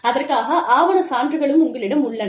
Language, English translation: Tamil, You have documentary evidence